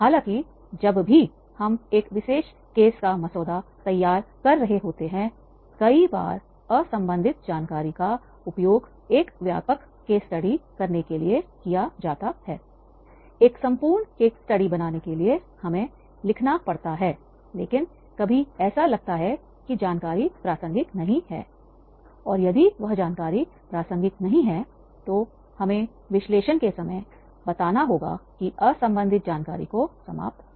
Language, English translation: Hindi, However, whenever we are drafting of a particular case many times unrelated information to make a comprehensive case study, to create a complete case study, we may be writing but it may seem that information is not that relevant and if that information is not relevant, then we have to tell at the time of analysis that alienate unrelated information